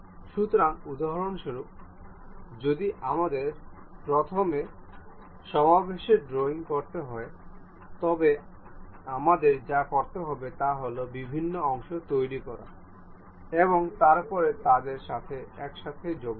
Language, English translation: Bengali, So, for example, if we have to do assembly drawings first of all what we have to do is construct different parts, and then join them together